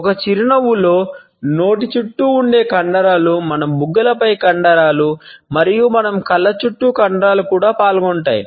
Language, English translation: Telugu, A smile may involve several muscles, muscles which are around the mouth, muscles on our cheeks, and muscles around our eyes also